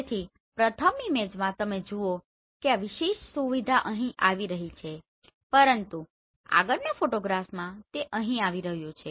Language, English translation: Gujarati, So in the first image you see this particular feature is coming here, but in the next photograph it is coming here right